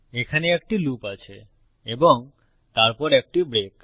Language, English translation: Bengali, This is a loop here and then a break